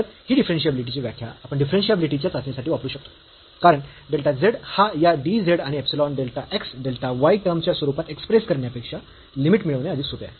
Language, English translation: Marathi, So, we can use this limit definition here for testing the differentiability, because getting this limit is easier than expressing this delta z in terms of this dz and epsilon delta x delta y term